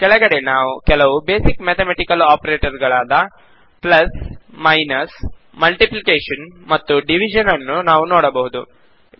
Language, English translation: Kannada, And at the bottom, we see some basic mathematical operators such as plus, minus, multiplication and division